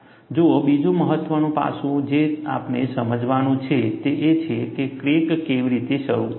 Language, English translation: Gujarati, See, another important aspect that we have to understand is, how does crack initiates